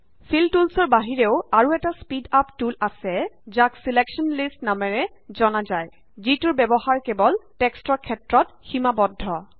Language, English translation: Assamese, Apart from Fill tools there is one more speed up tool called Selection lists which is limited to using only text